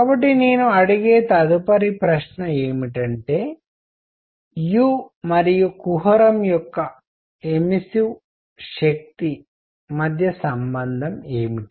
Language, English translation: Telugu, So next question I ask is; what is the relationship between u and the immersive power of the cavity